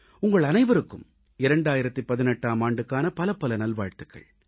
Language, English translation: Tamil, And once again, best wishes for the New Year 2018 to all of you